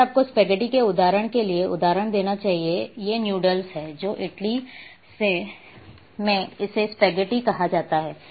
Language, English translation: Hindi, Let me give you one example in spaghetti in Italian means, these are the noodles which in Italy it is called spaghetti